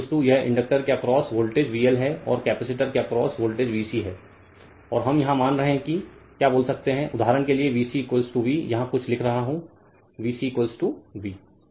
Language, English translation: Hindi, So, VL is equal to this voltage across inductor is VL and voltage across capacitor is VC and we are assuming that your what you call say say for example, VC is equal to v something am writing here right say VC is equal to V